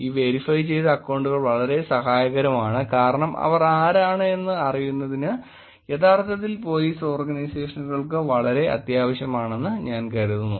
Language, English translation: Malayalam, These verified accounts are very helpful because I think for Police Organizations to say that who they are is actually very, very necessary